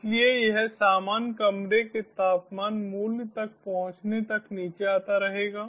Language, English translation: Hindi, so this will keep on coming down until it reaches the normal room temperature value